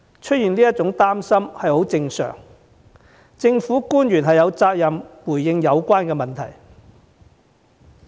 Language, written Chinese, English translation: Cantonese, 市民有這些擔心是很正常的，政府官員有責任回應有關問題。, While it is natural for people to be worried about these the government officials are duty - bound to respond to these issues